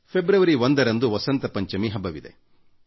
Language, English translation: Kannada, 1st February is the festival of Vasant Panchami